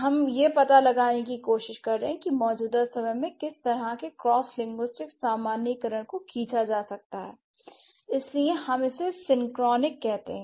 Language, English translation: Hindi, We have always been talking about cross linguistic generalizations at the present time which is also known as synchronic level